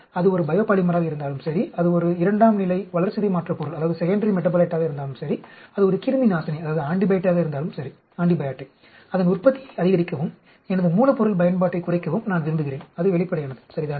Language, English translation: Tamil, Whether it is a biopolymer or whether it is a secondary metabolite or whether it is an antibiotic, I want to maximize its production and minimize my raw material usage, that is obvious, right